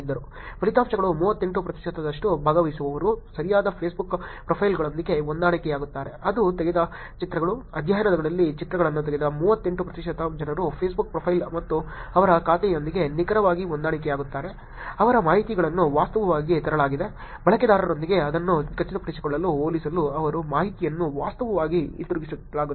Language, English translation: Kannada, The results were 38 percent of participants were matched with correct Facebook profiles, which is the pictures that were taken, 38 percent of the people who took the pictures in the study were exactly matched with the Facebook profile and their account, their information is actually brought back to compare to confirm it with the user